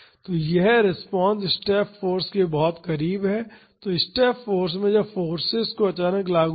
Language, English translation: Hindi, So, this response is very close to the step force; so, in step force when the forces suddenly applied